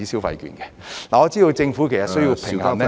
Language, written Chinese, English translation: Cantonese, 我知道政府其實需要平衡......, I know that the Government needs to strike a balance